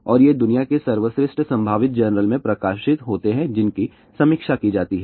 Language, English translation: Hindi, And these are published in the best possible journal of the world which are peer reviewed